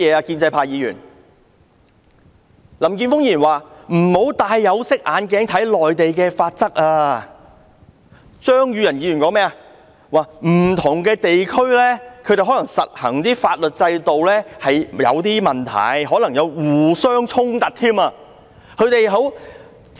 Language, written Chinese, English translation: Cantonese, 林健鋒議員說不要戴有色眼鏡看內地的法例，張宇人議員說不同地區實行的法律制度可能有點問題，還可能互相衝突。, Mr Jeffrey LAM said that one should not look at the Mainland laws through tinted glasses and Mr Tommy CHEUNG said that there might be problems with the different legal systems adopted in different regions and there might even be conflicts among them